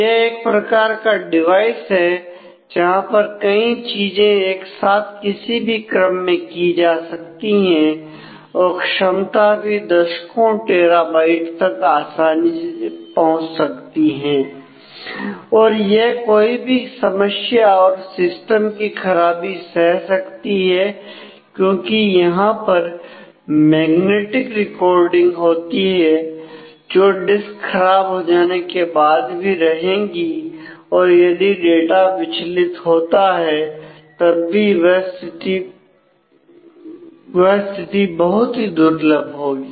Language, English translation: Hindi, Which is the serial device here it is a, it is kind of a I can do things in parallel at random in any order capacity is go up to tens of terabytes easily and it can survive for failure and system crashes, because it will the magnetic recording will still be there if the disk itself fails then it will the data will get distract, but such a situation is usually rear